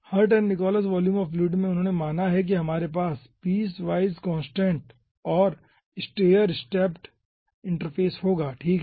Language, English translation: Hindi, okay, in this hirt and nichols volume of fluid, ah, they considered that we will be having piecewise constant and stair stepped interface